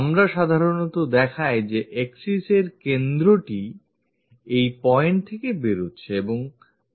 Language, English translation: Bengali, We usually show this center of axis that is passing from that point comes from that point